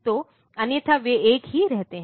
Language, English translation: Hindi, So, otherwise they remain same